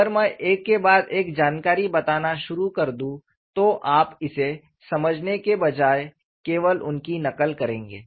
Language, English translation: Hindi, So, if I start pumping in information one after another, you would only copy them rather than observing it